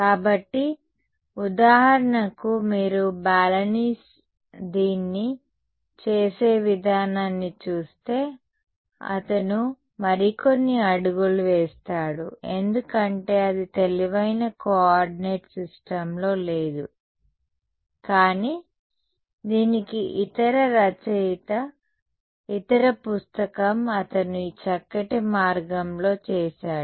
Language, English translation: Telugu, So for example, if you look at the way Balanis does it, he takes a few more steps because it is doing it in a not in the smartest coordinate system, but the other author for this is , the other book he does it in this nice way